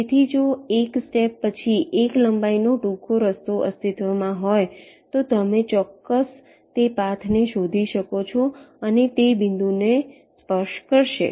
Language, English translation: Gujarati, so if a shortest path of length l exist after l steps, you are guaranteed to find that path and it will touch that point